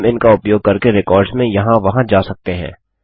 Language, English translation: Hindi, We also can use these to traverse through the records